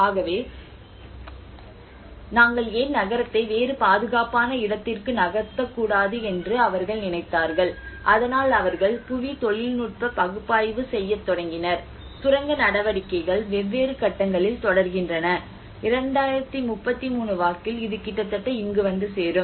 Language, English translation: Tamil, So then they thought why not we move the city into a different place a safe place so in that way they started analysing the geotechnical analysis have been done and they looked at how you see this mining activity keep on going in different stages and by 2033 it will almost reach here